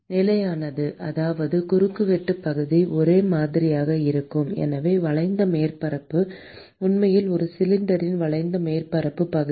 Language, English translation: Tamil, is constant which means that the cross sectional area is same and therefore, the curved surface area is actually a curved surface area of a cylinder